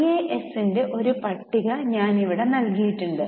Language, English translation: Malayalam, Now I have given here a list of IAS